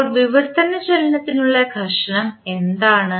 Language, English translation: Malayalam, So, what is the friction for translational motion